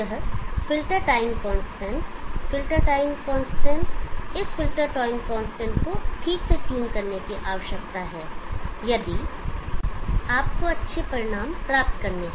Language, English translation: Hindi, This filter time constant, this filter time constant, this filter time constant need to be properly tuned, if you have to get good results